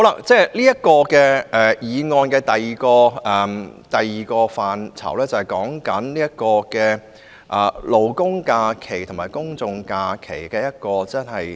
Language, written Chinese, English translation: Cantonese, 這項議案的第二個範疇是劃一勞工假期和公眾假期。, The second aspect of the motion is about aligning the numbers of labour holidays and general holidays